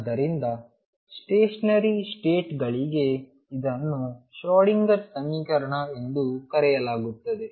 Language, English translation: Kannada, So, this is known as the Schrödinger equation, for stationary states